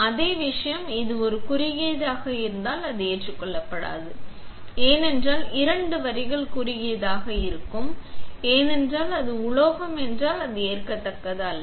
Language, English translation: Tamil, Same thing; if this is a short it is not acceptable because two lines will be short, if it is a metal it is not at all acceptable